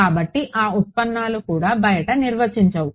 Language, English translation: Telugu, So, that derivatives also not define outside